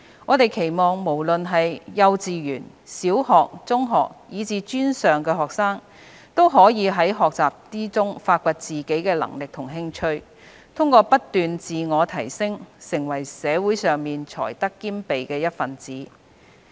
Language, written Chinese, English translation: Cantonese, 我們期望無論是幼稚園、小學、中學，以至專上學生，都可以在學習中發掘自己的能力和興趣，通過不斷自我提升，成為社會上才德兼備的一分子。, We hope that all students from kindergarten primary secondary to post - secondary levels will be able to explore their abilities and interests in learning and through continuous self - improvement become a member of society of great ability and integrity